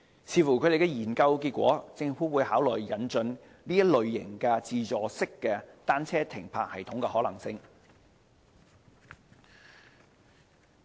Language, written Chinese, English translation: Cantonese, 視乎研究結果，政府會考慮引進這類自助式單車停泊系統的可行性。, Subject to the findings of the study the Government will consider the feasibility of introducing such automated bicycle parking systems